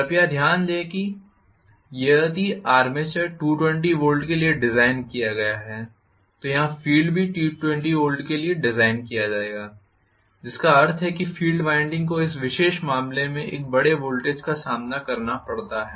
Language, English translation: Hindi, Please note that if the armature is designed for 220 volts the field will also be designed for 220 volts here which means the field winding is supposed withstand a large voltage in this particular case